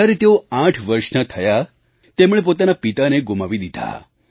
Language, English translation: Gujarati, When he turned eight he lost his father